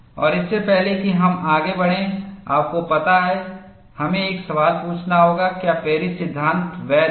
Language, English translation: Hindi, And before we proceed further, you know we will have to ask a question, is Paris law valid